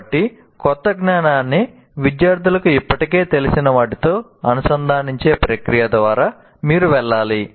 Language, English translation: Telugu, So you have to go through the process of linking the new knowledge to the what the students already knew